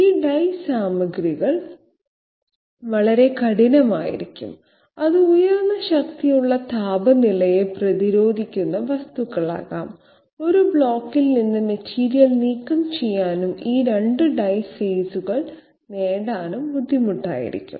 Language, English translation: Malayalam, These die materials of they can be very hard and it can be the of high strength temperature resistant material and it will be difficult to remove material from a block and update these 2 die faces